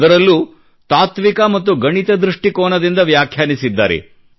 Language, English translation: Kannada, And he has explained it both from a philosophical as well as a mathematical standpoint